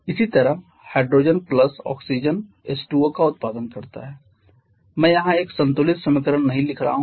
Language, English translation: Hindi, Similarly hydrogen plus oxygen produces H2O I am not writing a balanced equation here